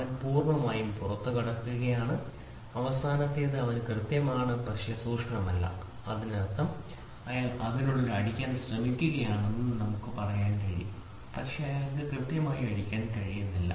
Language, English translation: Malayalam, So, he is completely hitting way out and the last one is he is accurate, but not precise; that means, to say he is trying to hit within it, but he can he is not precisely hitting